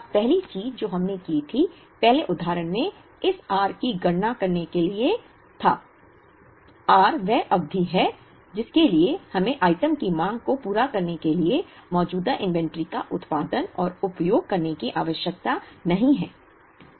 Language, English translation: Hindi, Now, the first thing that we did, in the earlier example was to calculate this r, r is the period up to which we need not produce and use the existing inventory to meet the demand of the item